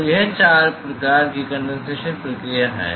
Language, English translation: Hindi, So, these are the four types of condensation process